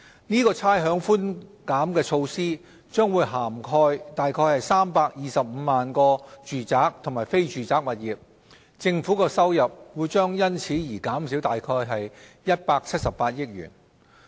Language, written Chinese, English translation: Cantonese, 這差餉寬減措施將涵蓋約325萬個住宅和非住宅物業，政府收入將因而減少約178億元。, The rates concession measure will cover about 3.25 million residential and non - residential properties and reduce government revenue by 17.8 billion